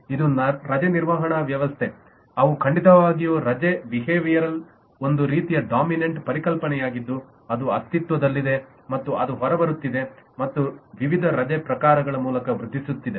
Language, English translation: Kannada, they are certainly that is a leave behaviour is kind of a dominant concept that will exist and that is coming out and proliferating through a variety of different leave types